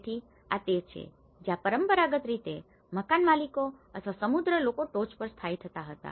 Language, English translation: Gujarati, So, this is where the traditional, the landlords or the rich people who used to settle down on the top